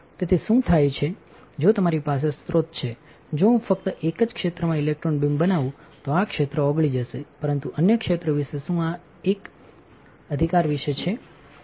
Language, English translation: Gujarati, So, what happens is, if you have the source if I just incident the electron beam only in one area this area will get melt, but what about other area what about this one this one right